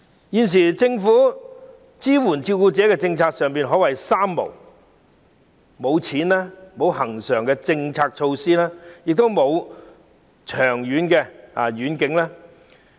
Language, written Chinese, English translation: Cantonese, 現時，政府支援照顧者的政策可說是"三無"："無錢"、"無恆常措施"、"無遠景"。, At present the Governments policy on support for carers can be described as a policy of three Nils Nil money Nil regular measure and Nil vision